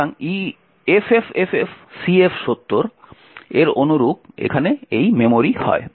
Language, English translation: Bengali, So, corresponding to FFFFCF70 is this memory over here